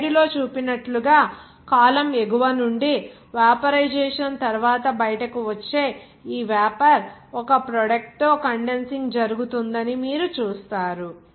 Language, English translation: Telugu, As shown in the slide that from the top the column, this vapor coming out after vaporization you see that to be condensed to a product